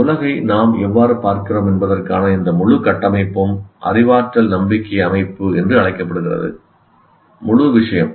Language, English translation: Tamil, And this total construct of how we see the world is called cognitive belief system, the entire thing